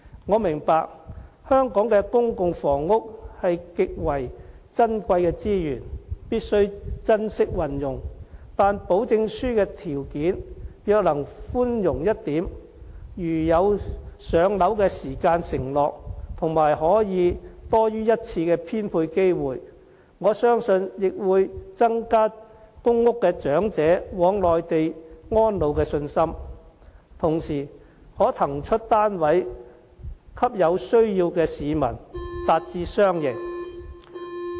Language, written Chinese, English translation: Cantonese, 我明白香港的公共房屋是極為珍貴的資源，必須珍惜運用，但保證書的條件若能寬容一點，如有"上樓"時間承諾和可多於一次的編配機會，我相信亦會增加公屋長者往內地安老的信心，同時可騰出單位給有需要的市民，達至雙贏。, I understand that Hong Kongs PRH resources are so precious that we should cherish them but if the provisions of the Letter of Assurance are more lenient such as making a pledge that a PRH unit will be allocated within a definitive time frame and ensuring elderly people can get more than one allocation opportunity I believe that will enhance the confidence of elderly people who are going to settle and reside on the Mainland and at the same time the relevant PRH units can be vacated for people who have the housing need thereby achieving a win - win situation